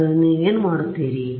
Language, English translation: Kannada, So, what would you do